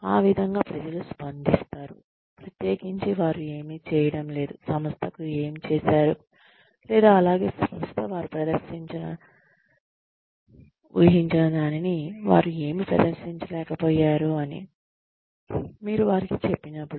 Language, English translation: Telugu, That is how, people will react, especially, when you tell them, that they are not doing, what the organization, or they have not been able to perform, as well as the, organization expected them to perform